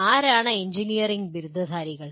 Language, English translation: Malayalam, Who are engineering graduates